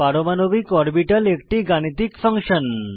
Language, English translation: Bengali, An atomic orbital is a mathematical function